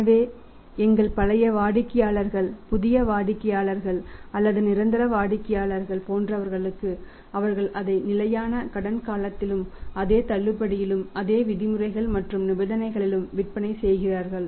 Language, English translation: Tamil, So, our old customers to new buyer existing buyer or to say permanent customer they are selling it on the standard credit period and at the same discount and the same other terms and conditions